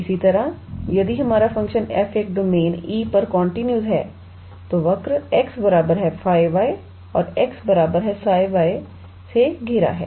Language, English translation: Hindi, Similarly, if our function f is continuous on a domain E which is bounded by the curve x equals to phi y and x equals to psi y